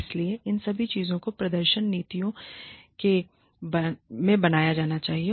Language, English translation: Hindi, So, all of these things should be built, into the performance policies